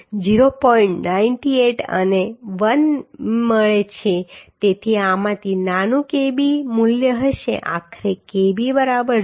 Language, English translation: Gujarati, 98 and 1 so smaller of these will be Kb value will be finally Kb is equal to 0